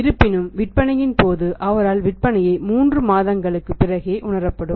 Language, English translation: Tamil, At the point of sale however the sales will be realise by him 3 months down the line